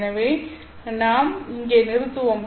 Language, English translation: Tamil, So, let us do that one